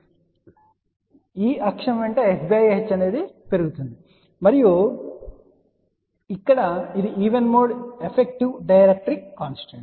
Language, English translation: Telugu, And s by h is increasing along this axes and this one here is a even mode effective dielectric constant